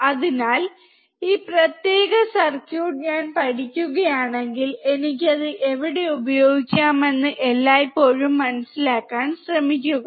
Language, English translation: Malayalam, So, always try to understand that if I learn this particular circuit, where can I use it